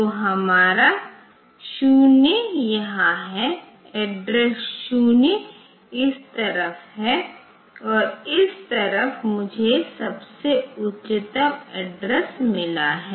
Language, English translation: Hindi, So, the our 0 is here, the 0 instead, address 0 is on this side and this side I have got the highest address